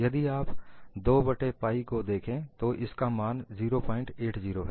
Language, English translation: Hindi, And if you take out this 2 by pi, the value is 0